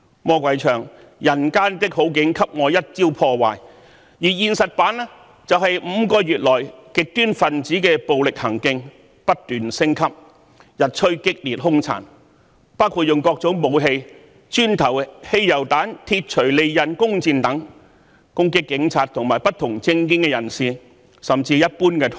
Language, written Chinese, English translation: Cantonese, 魔鬼口中的"人間的好景給我一朝破壞"，在現實版本中就是5個月來極端分子的暴力行徑不斷升級，日趨激烈凶殘，包括以各種武器，磚頭、汽油彈、鐵鎚、利刃、弓箭等攻擊警察和不同政見人士，甚至一般途人。, In my opinion the escalating violence of the extremists over the past five months who have become increasingly cruel and brutal including using various weapons bricks petrol bombs hammers sharp knives bows and arrows to attack police officers people holding different political views and even passers - by is exactly the real life version of that line sung by the devil that reads destroying all the goodies in just one go